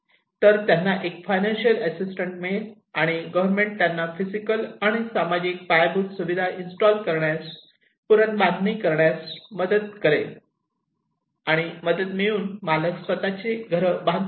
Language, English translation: Marathi, So, they will get an assistance and government will help them to install, rebuild physical and social infrastructure, and the owners they will construct their own house by getting assistance